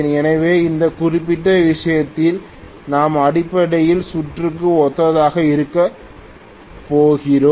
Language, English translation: Tamil, So in this particular case also we are going to have essentially the circuit similar